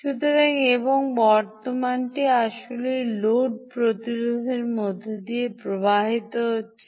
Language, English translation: Bengali, and the current is actually flowing through this ah load resistor